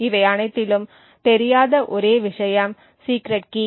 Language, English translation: Tamil, The only thing that is unknown in all of this is the secret key